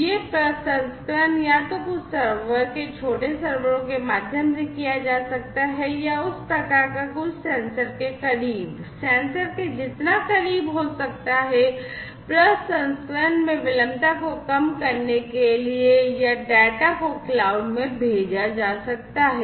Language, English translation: Hindi, This processing can be either done through some server’s small servers or, something of that type, close to the sensors, as much close as possible to the sensors, in order to reduce the latency in processing or, the data could be sent to the cloud